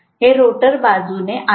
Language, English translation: Marathi, So this is from the rotor side